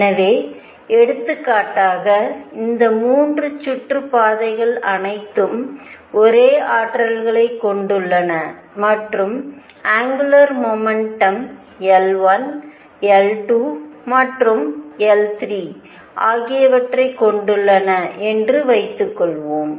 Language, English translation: Tamil, So, for example, suppose these 3 orbits have all the same energies and have angular momentum L 1 L 2 and L 3